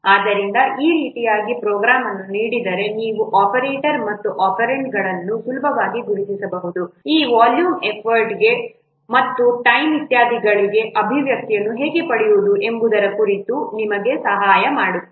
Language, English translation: Kannada, So, in this way given a program you can easily identify the operators and operands this will help you for what is derived in the expressions for this volume effort and and time, etc